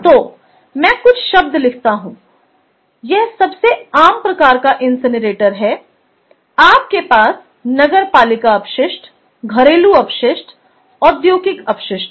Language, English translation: Hindi, this is most common type of incinerator you have, you know, municipal waste, domestic waste, industrial waste, so on